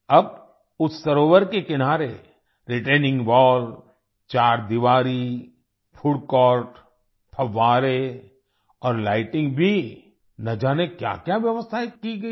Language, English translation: Hindi, Now, many arrangements have been made on the banks of that lake like retaining wall, boundary wall, food court, fountains and lighting